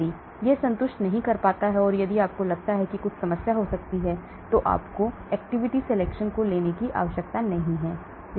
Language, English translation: Hindi, If it does not satisfy and if you feel there could be some problem, you need not take that particular compound for activity selection